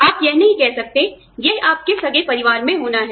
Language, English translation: Hindi, You cannot say, it has to be, in your immediate family